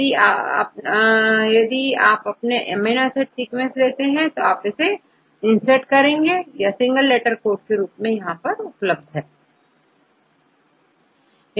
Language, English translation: Hindi, So, and this is amino acid sequence right, I give the amino acid sequence in single letter code right